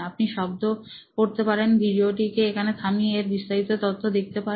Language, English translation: Bengali, You can read the text, you can pause the video right here and see what details are in this, okay